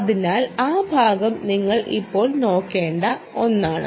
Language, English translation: Malayalam, so that part is something you will have to look up just now